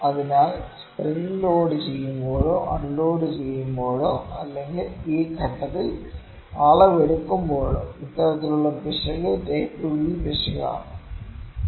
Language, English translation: Malayalam, So, this kind of error when the loaded or loading or unloading of spring when the measurement is taken at this point this kind of error is type B error